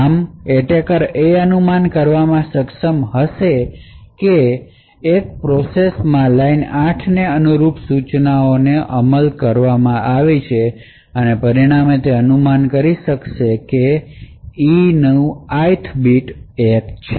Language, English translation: Gujarati, Thus the attacker would be able to infer that the instructions corresponding to line 8 in the process 1 has executed, and as a result he could infer that the E Ith bit happens to be 1